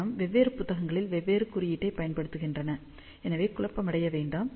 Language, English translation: Tamil, The reason is different books use different symbol ok, so do not get confused